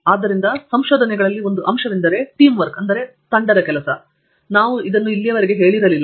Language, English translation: Kannada, So, in research one of the aspects, we have not touched upon so far is Teamwork